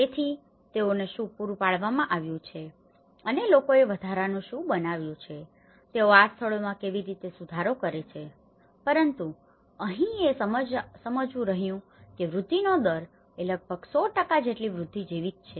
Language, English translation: Gujarati, So, what it has been provided and what the people have made incrementally, how they are modified these places but here one has to understand it is like the incrementality is almost like 100 percent of increase